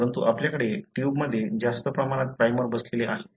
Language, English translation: Marathi, But you have excess amount of primers sitting in the tube